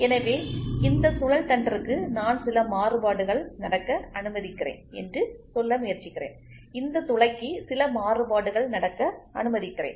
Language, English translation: Tamil, So, I try to say for this shaft I allow some variation to happen, for this hole I allow some variation to happen